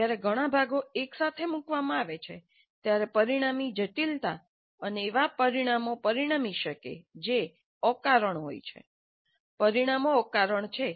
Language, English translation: Gujarati, When many parts are put together, the resulting complexity can lead to results which are unintended